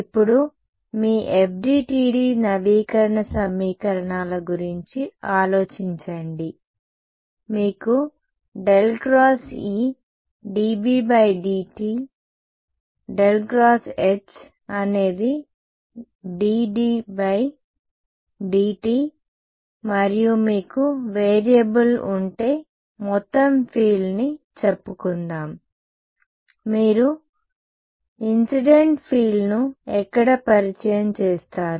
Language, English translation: Telugu, Now look at think of your FDTD update equations, you have curl of E is dB/dt, curl of h is dD/dt and if you have variable is let us say total field, where will you introduce the incident field